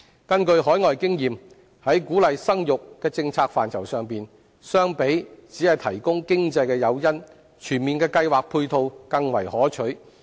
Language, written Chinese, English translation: Cantonese, 根據海外經驗，在鼓勵生育的政策範疇上，相比只提供經濟誘因，全面的計劃配套更為可取。, According to overseas experience in the policy area of boosting the fertility rate comprehensive planning and ancillary measures are more desirable than the provision of financial incentives alone